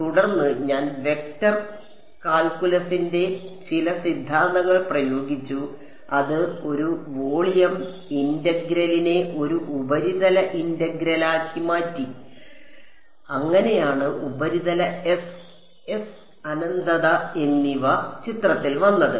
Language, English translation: Malayalam, And, then I applied some theorems of vector calculus which converted a volume integral into a surface integral that is how the surface S and S infinity came into picture